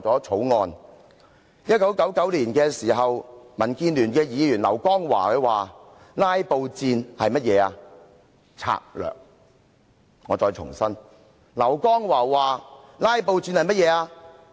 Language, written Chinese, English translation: Cantonese, 在1999年，民建聯前議員劉江華說："'拉布'戰是甚麼？"我再重複，劉江華說："'拉布'戰是甚麼？, In 1999 former Member of DAB LAU Kong - wah said that this is a tactic in describing filibusters and I repeat in describing filibusters LAU Kong - wah said that this is a tactic